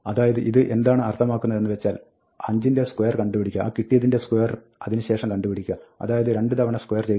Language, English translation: Malayalam, So, what this means is, apply square of 5, and then, square of that; so, do square twice